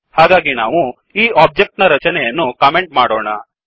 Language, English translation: Kannada, So we will comment this object creation